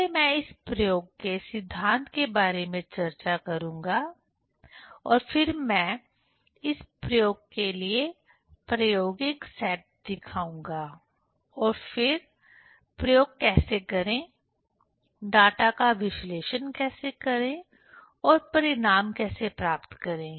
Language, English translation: Hindi, First I will discuss about the principle of this experiment and then I will show the experimental set up for this experiment and then how to perform the experiment, how to analyze data and how to get the result